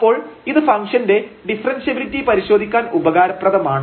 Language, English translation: Malayalam, So, this is useful in testing the differentiability of the function